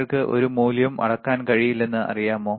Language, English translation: Malayalam, Is it you know you cannot measure any value